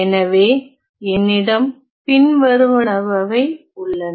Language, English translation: Tamil, So, I have the following